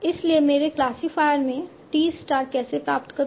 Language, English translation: Hindi, So for my classifier, how do I obtain t star